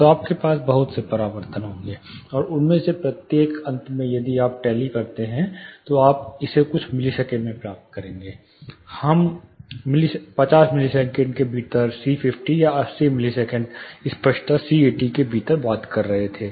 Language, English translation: Hindi, So, you will have lot of reflections, and each of them finally, if you tally you will get it in few milliseconds, this is what we were talking in terms of, within 50 millisecond like clarity 50, or within 80 milliseconds clarity 80 c 80